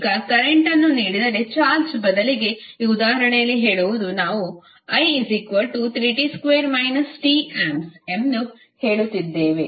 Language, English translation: Kannada, Now, instead of charge if current is given, that is, say in this example we are saying that I=3t^2 t ampere